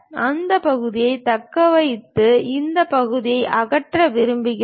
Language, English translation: Tamil, And we would like to retain that part and remove this part